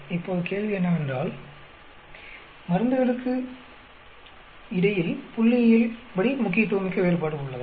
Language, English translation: Tamil, Now the question is is there a statistically significant difference between drugs